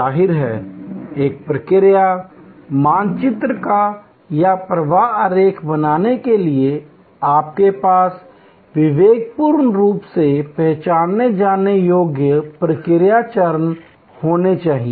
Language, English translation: Hindi, Obviously, to create a process map or a flow diagram, you have to have discretely identifiable process steps